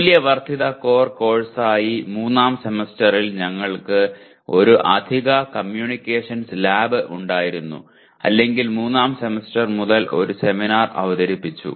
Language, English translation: Malayalam, We had an extra communications lab in the third semester as a value added core course or introduce a seminar starting from the third semester